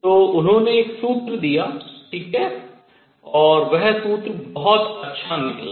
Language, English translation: Hindi, So, he gave a formula all right, and that formula turned out to be very good